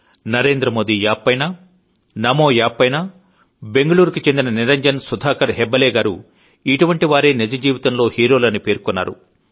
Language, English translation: Telugu, On the Narendra Modi app, the Namo app, Niranjan Sudhaakar Hebbaale of BengaLuuru has written, that such people are daily life heroes